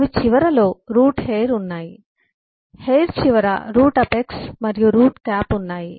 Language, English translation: Telugu, at the end of the hair there is a root apex and a root cap